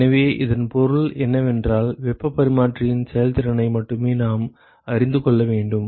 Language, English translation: Tamil, So, what it simply means is that we need to know only the efficiency of the heat exchanger